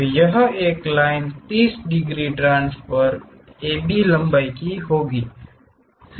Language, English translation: Hindi, So, draw a line 30 degrees transfer AB length here